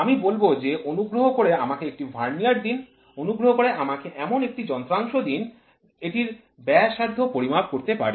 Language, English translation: Bengali, I will try to say please give me a Vernier; please give me a device where it can measure the radius